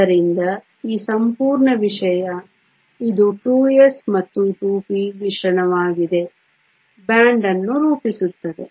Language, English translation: Kannada, So, that this whole thing, which is the mixture of the 2 s and the 2 p forms a band